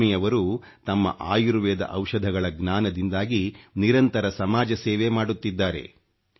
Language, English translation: Kannada, Lakshmi Ji is continuously serving society with her knowledge of herbal medicines